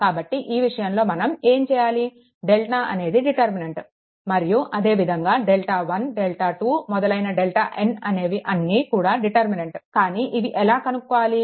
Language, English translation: Telugu, So, in this case what we will do that delta is the determinant, and then the delta 1 delta 2 all delta n also determinant, but how to obtain this